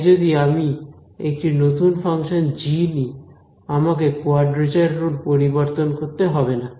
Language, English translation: Bengali, So, if I come up with a new function g I do not have to change the quadrature rule, all I have